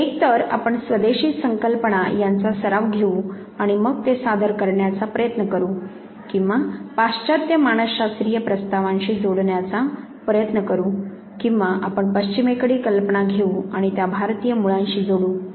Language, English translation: Marathi, So, either you take indigenous concepts, practices and then try to present it or connect it to the western psychological propositions or you take ideas from the west and connect it to the Indian roots